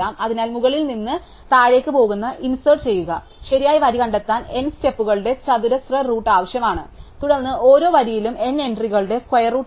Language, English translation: Malayalam, So, it take square root of N steps to find the correct row to insert going from top to bottom, and then we have in each rows square root of N entries